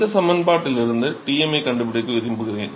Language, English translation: Tamil, So, suppose I want to find out T m from this expression